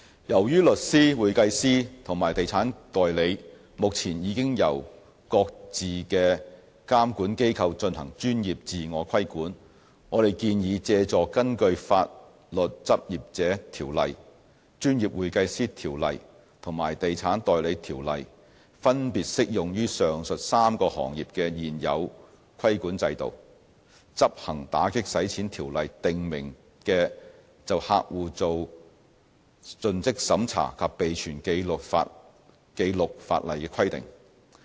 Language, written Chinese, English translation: Cantonese, 由於律師、會計師和地產代理目前已經由各自的監管機構進行專業自我規管，我們建議借助根據《法律執業者條例》、《專業會計師條例》和《地產代理條例》分別適用於上述3個行業的現有規管制度，執行《條例》訂明就客戶作盡職審查及備存紀錄的法例規定。, As solicitors accountants and real estate agents are currently already subject to professional self - regulation by the respective regulatory bodies we propose to leverage on the existing regulatory regimes applicable to the three sectors under the Legal Practitioners Ordinance the Professional Accountants Ordinance and the Estate Agents Ordinance respectively to enforce the statutory customer due diligence and record - keeping requirements as stipulated under the Ordinance